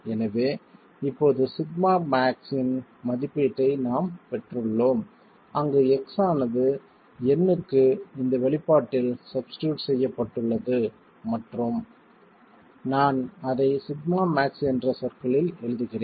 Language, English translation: Tamil, So now we have an estimate of sigma max where all that is done is x is substituted into this expression for n and I write it in terms of sigma max